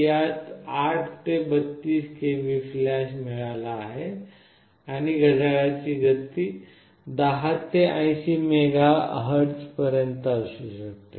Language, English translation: Marathi, It has got 8 to 32 KB flash and the clock speed can range from 10 to 80 MHz